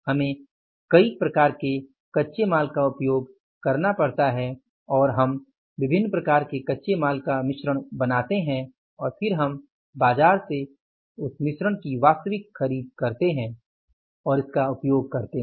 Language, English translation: Hindi, We use the multiple type of raw materials and we make a mix of the different types of the raw materials and then we go for the actual buying of that mix from the market and using that